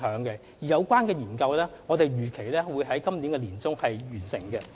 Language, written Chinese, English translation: Cantonese, 有關檢討預計會在今年年中完成。, The review is expected to be completed by mid - 2018